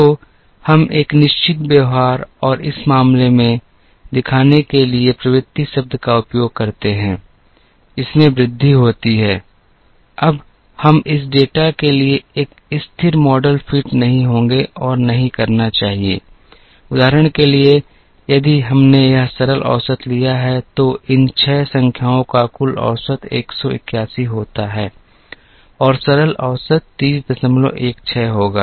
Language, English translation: Hindi, So, we use the term trend to show, a certain behaviour and in this case, there is an increase, now we will not and should not fit a constant model, for this data, for example, if we took this simple average, then the simple average the total of these 6 numbers, happens to be 181 and the simple average will be 30